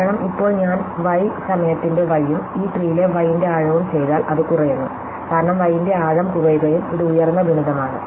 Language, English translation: Malayalam, Because, now if I do f of y time the length of y and the depth y in this tree, then it will reduce, because the depth of y is reduce and this is the higher multiply